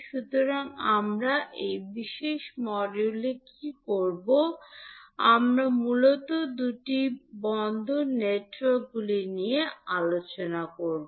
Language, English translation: Bengali, So, what we will do in this particulate module, we will discuss mainly the two port networks